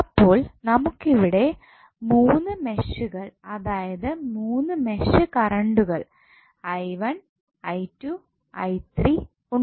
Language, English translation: Malayalam, So, here we have three meshes connected so we will have three mesh currents like i 1, i 2 and i 3